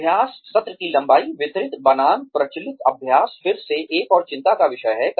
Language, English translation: Hindi, Length of practice session, distributed versus massed practice is again, another concern